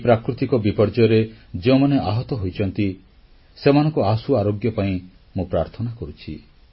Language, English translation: Odia, I earnestly pray for those injured in this natural disaster to get well soon